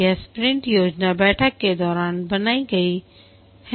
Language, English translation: Hindi, This is created during the sprint planning meeting